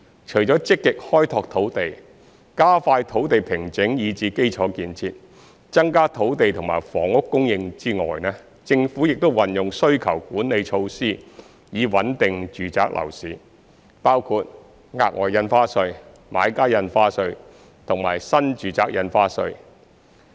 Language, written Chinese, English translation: Cantonese, 除積極開拓土地，加快土地平整以至基礎建設，增加土地及房屋供應外，政府亦運用需求管理措施以穩定住宅樓市，包括額外印花稅、買家印花稅及新住宅印花稅。, Apart from actively expanding land resources and expediting land formation and infrastructure development to increase land and housing supply the Government has also adopted demand - side management measures to stabilize the residential property market including the Special Stamp Duty Buyers Stamp Duty and New Residential Stamp Duty